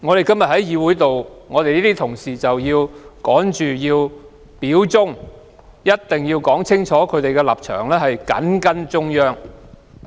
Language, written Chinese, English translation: Cantonese, 今天有些同事也要表忠，清楚說明他們的立場是緊跟中央。, Some colleagues have also showed loyalty today by stating clearly that they toe the line of the Central Authorities